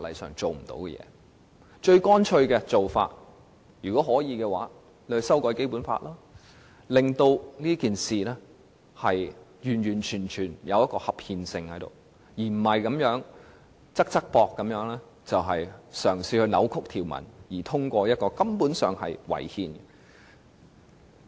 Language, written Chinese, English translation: Cantonese, 如果可以的話，最乾脆的做法就是修改《基本法》，令到整件事情符合合憲的要求，而不是"側側膊"嘗試扭曲條文以通過一項違憲的《條例草案》。, If possible the Basic Law should simply be amended to make the whole thing meet the constitutional requirement rather than acting evasively in an attempt to distort certain provisions in order to pass an unconstitutional Bill